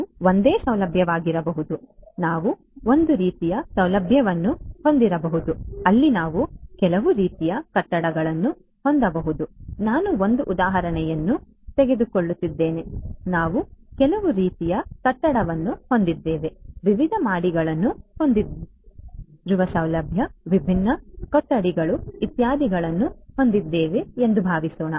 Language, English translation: Kannada, It could be a single facility single facility we could have a single facility where we could have some kind of I am just taking an example let us say that we have some kind of a building a facility right having different floors different floors, different rooms, etcetera and so on